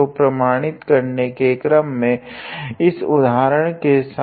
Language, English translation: Hindi, So, in order to verify let me start with this example